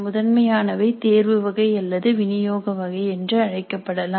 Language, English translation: Tamil, Primarily they can be called as selection type or supply type